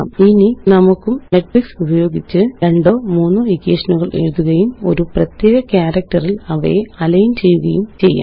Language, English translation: Malayalam, Now, we can also use matrices to write two or three equations and then align them on a particular character